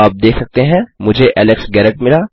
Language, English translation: Hindi, You can see that I have got Alex Garret